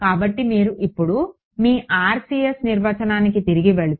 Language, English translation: Telugu, So, if you go back now to the definition of your RCS